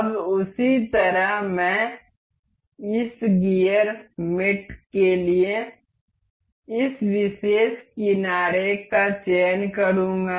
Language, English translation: Hindi, Now, in the same way I will go select this particular edge for this gear mate